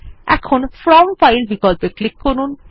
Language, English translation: Bengali, Now click on From File option